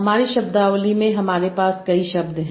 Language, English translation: Hindi, I have that many words in my vocabulary